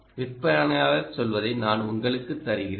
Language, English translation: Tamil, i will give you what the vendor himself says